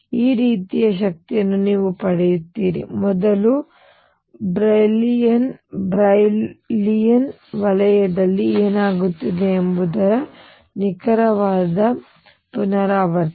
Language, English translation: Kannada, You will get energies which are like this, exact repetition of what is happening in the first Brillouin zone